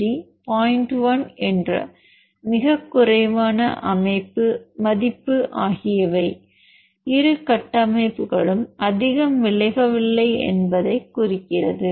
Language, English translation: Tamil, 1, which is very low and means the both the structures are not deviating much